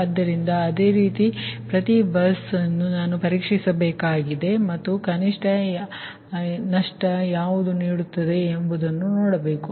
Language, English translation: Kannada, so, similarly, each bus i have to test and i have to see which one is giving the minimum loss